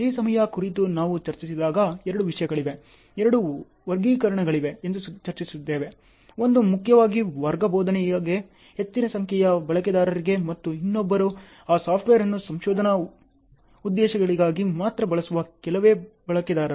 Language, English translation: Kannada, When we discussed on this problem, we discussed there were two things, two classifications; one is primarily for large number of users for class teaching and other one is few users who use those software only for research purposes ok